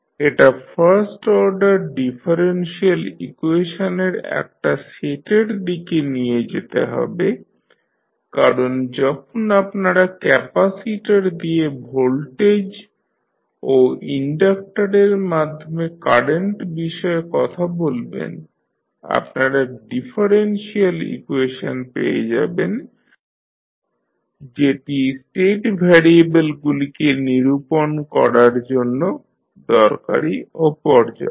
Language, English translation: Bengali, This should lead to a set of first order differential equation because when you talk about the voltage and current voltage across capacitor and current at through inductor you will get the differential equations which is necessary and sufficient to determine the state variables